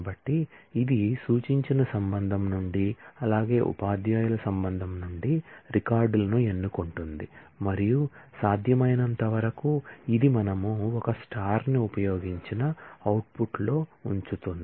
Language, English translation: Telugu, So, this will choose records from instructed relation, as well as from teacher’s relation and in all possible combined way, it will put them in the output we have used a star